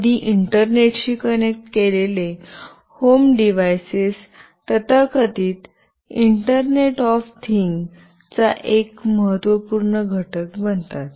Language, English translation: Marathi, When connected to Internet, the home devices form an important constituent of the so called internet of things